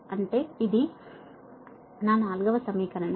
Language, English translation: Telugu, this is equation four